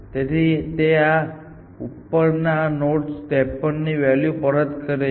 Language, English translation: Gujarati, So, it backs up this value 53 to this node